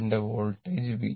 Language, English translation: Malayalam, And this is my voltage V